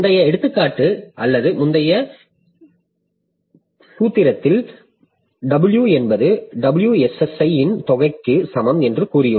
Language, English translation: Tamil, So, though in the previous example or previous formula, so we have said that D equal to WSSI, sum of WSSI, but what is the WSSI